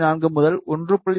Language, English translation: Tamil, 4 to 1